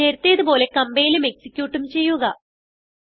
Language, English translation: Malayalam, Now compile as before, execute as before